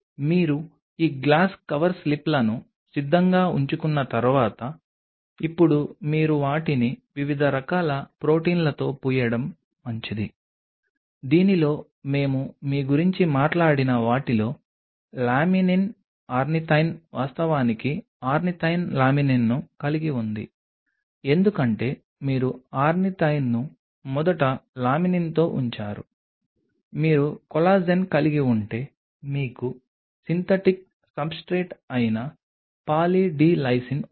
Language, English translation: Telugu, Once you have these glass cover slips ready, now you are good to go to coat them with different kind of proteins what part of which we have talked about you have Laminin Ornithine actually rather ornithine laminin because you put the ornithine first followed by Laminin, you have Collagen, you have Poly D Lysine which is a Synthetic substrate